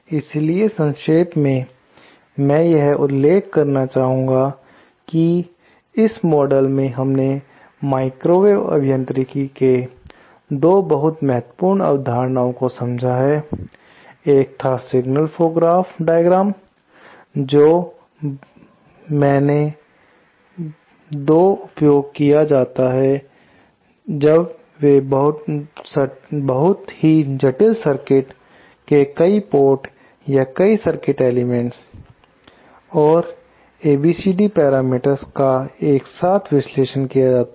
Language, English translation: Hindi, So, in summary, I would like to mention that in this module, we covered 2 very important concepts in microwave engineering, one was the signal flow graph diagram, which is extensively used when they want to analyse very complicated circuits with many ports or many circuit elements and also the ABCD parameters